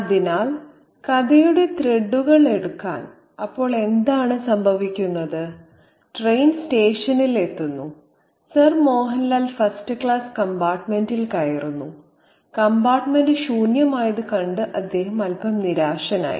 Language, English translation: Malayalam, So, to pick up the threads of the story, so what happens is the train arrives at the station and Samohan Lal boots the first class compartment and he is a little bit disappointed to see that the compartment is empty